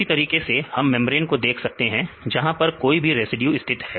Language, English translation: Hindi, Likewise we can see the membrane, whether where the residues are located right